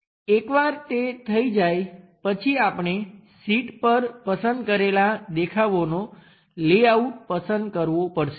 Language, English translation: Gujarati, Once that is done we have to choose the layout of the selected views on a drawing sheet